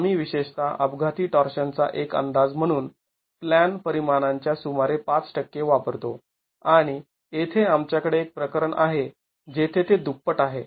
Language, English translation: Marathi, We typically use about 5% of the plan dimension as an estimate of accidental torsion and we have here a case where it is double